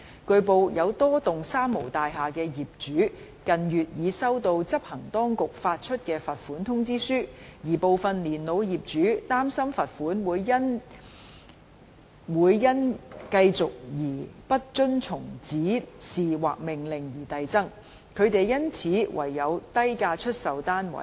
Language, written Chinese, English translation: Cantonese, 據報，有多幢三無大廈的業主近月已收到執行當局發出的罰款通知書，而部分年老業主擔心罰款會因繼續不遵從指示或命令而遞增，他們因此唯有低價出售單位。, It has been reported that the owners of a number of three - nil buildings have received in recent months the penalty demand notes issued by the enforcement authorities and some elderly owners worry that the fines will increase progressively due to continued non - compliance with the Directions or Orders leaving them with no other choice but to sell their flats at low prices